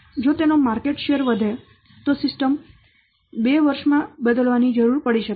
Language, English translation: Gujarati, If it's a market share increases, then the existing system might need to be replaced within two years